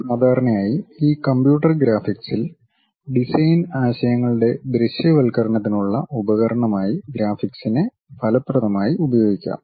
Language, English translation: Malayalam, Usually this computer computer graphics involves effective use of graphics as a tool for visualization of design ideas